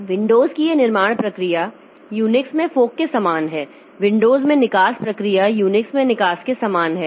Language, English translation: Hindi, So, this create process of Windows is similar to fork in Unix, exit process in Windows similar to exit in Unix